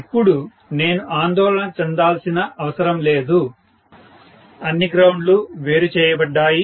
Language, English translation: Telugu, Now, I do not have to worry, all the grounds are separate, right